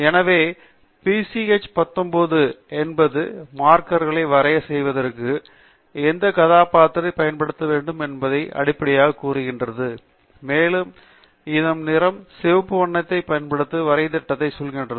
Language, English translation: Tamil, So, PCH19 is basically telling which character it should use for plotting the markers, and that, and the color tells the plot to use a red color